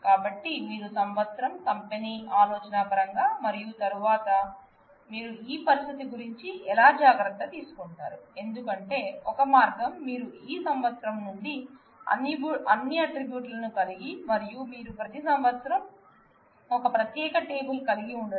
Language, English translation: Telugu, So, if you if you have such a table where you along with the company idea of year and amount and then how do you take care of this situation, because one way could be that you have all of these you take out year, from the attribute and you have separate table in every year